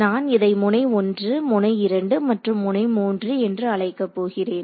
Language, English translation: Tamil, So, I am going to call this node 1 node 2 and node 3